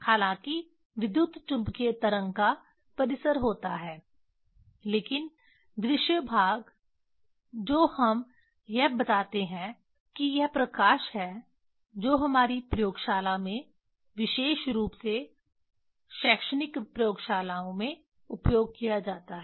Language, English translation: Hindi, Although electromagnetic wave have range but visible range that we tell it is light which will be used in our in the laboratory in teaching labs specially